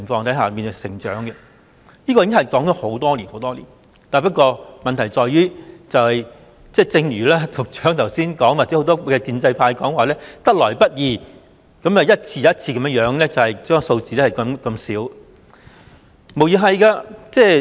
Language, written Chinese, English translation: Cantonese, 這項建議已提出了很多年，不過，問題在於局長和很多建制派議員經常說侍產假得來不易，然後一次又一次逐少地增加侍產假日數。, This proposal has been raised for many years but the Secretary and many pro - establishment Members always say that paternity leave is not easy to come by and any increase should be made in a gradual manner